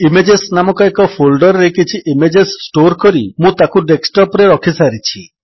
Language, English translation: Odia, I have already stored some images on the Desktop in a folder named Images